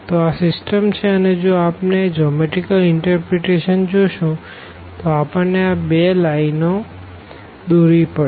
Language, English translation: Gujarati, So, this is our system now and again if we look for this geometrical interpretation we need to plot these two lines